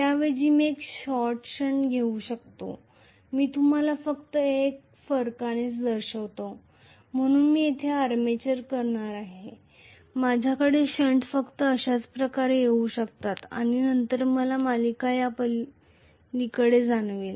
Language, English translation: Marathi, I can have instead a short shunt I will show you just by a difference, so I am going to have the armature here, I can have the shunt just coming across like this and then I am going to have the series feel beyond this